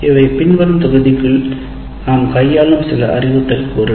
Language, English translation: Tamil, These are some of the instructional components which we will deal with in the following module